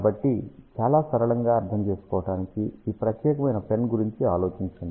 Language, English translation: Telugu, So, to understand in a very simple manner, so just think about this particular pen